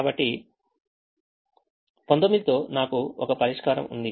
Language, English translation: Telugu, so i have a solution with nineteen